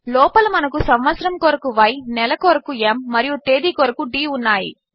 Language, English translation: Telugu, Inside we have Y for the year, m for the month and d for the date